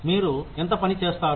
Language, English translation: Telugu, How much work do you do